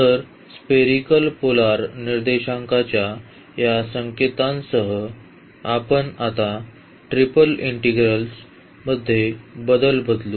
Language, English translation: Marathi, So, with this notation of the spherical polar coordinates we will now introduce the change of variables in triple integral